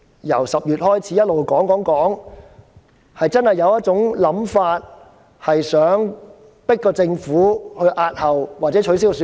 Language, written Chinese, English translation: Cantonese, 由10月開始，有市民一直說，建制派想迫政府押後或取消選舉。, Since October some members of the public have been saying that the pro - establishment camp wants to compel the Government to postpone or cancel the Election